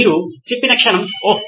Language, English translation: Telugu, moment that you said, Oh